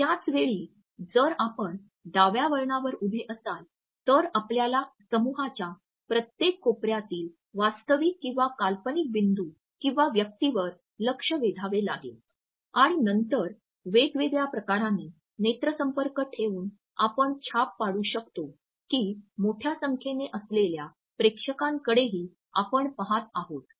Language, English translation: Marathi, At the same time if you are standing on the left turn, then you also have to peg a real or imaginary point or person in every corner of the group and then by maintaining different types of eye contacts you would find that you can create this impression among the audience that you are looking at a larger number of them